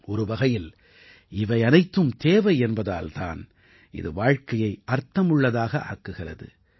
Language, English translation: Tamil, In a way if life has to be meaningful, all these too are as necessary…